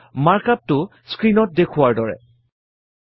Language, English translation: Assamese, And the mark up looks like as shown on the screen